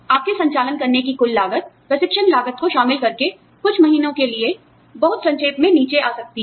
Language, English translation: Hindi, Training costs included, your total cost of running the operation, could go down, very briefly, for a few months